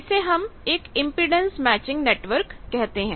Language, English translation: Hindi, You see that in the impedance matching network